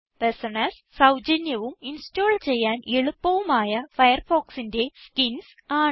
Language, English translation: Malayalam, # Personas are free, easy to install skins for Firefox